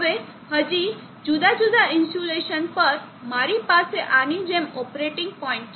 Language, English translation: Gujarati, Now it is still further different insulation, I have an operating point like this